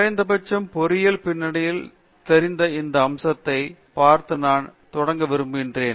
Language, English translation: Tamil, So, I would like to start by looking at this aspect that you know at least in engineering background